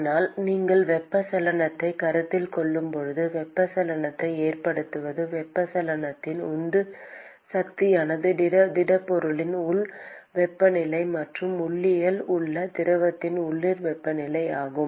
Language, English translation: Tamil, But when you are considering convection what is causing convection the driving force of convection is the local temperature inside the solid and the local temperature in the fluid outside